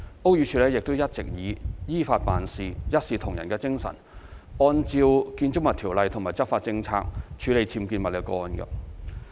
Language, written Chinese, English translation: Cantonese, 屋宇署亦一直以依法辦事、一視同仁的精神，按照《建築物條例》及執法政策處理僭建物個案。, The Buildings Department BD has for that purpose formulated clear enforcement policies and arrangements and has been handling UBWs cases in accordance with BO and the enforcement policies impartially in accordance with the law